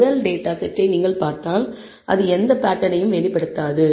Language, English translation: Tamil, The first data set if you look at it exhibits no pattern